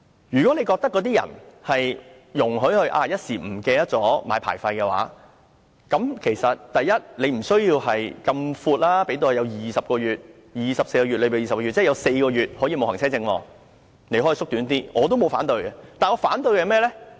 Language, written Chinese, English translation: Cantonese, 如果容許車主一時忘記續領車牌，第一，無須要訂得那麼闊，容許24個月之中，有4個月可以沒有行車證，政府可以縮短一些，我亦不會反對的，但我反對些甚麼呢？, I think for this purpose there is actually no need to make it so lenient as to allow for four months of no licence discs within a period of 24 months . The Government may make the period shorter and I will have no objection . But what is it that I oppose then?